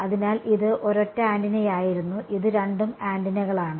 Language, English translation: Malayalam, So, this was a single antenna and this is both antennas